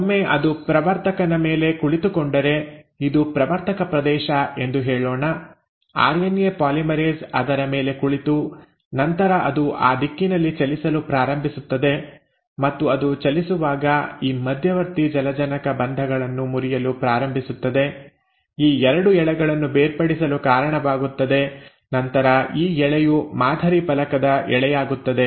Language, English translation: Kannada, Once it sits on the promoter, so let us say this was the promoter region, right, the RNA polymerase sits on it and then it starts moving in that direction, and as it moves along it starts breaking these intermediary hydrogen bonds, causes the separation of these 2 strands and then this strand becomes the template strand